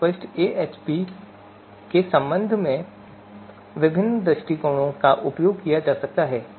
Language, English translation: Hindi, Various approaches with respect to for AHP for fuzzy AHP have been used